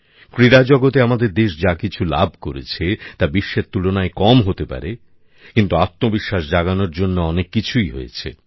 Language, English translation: Bengali, Whatever our country earned in this world of Sports may be little in comparison with the world, but enough has happened to bolster our belief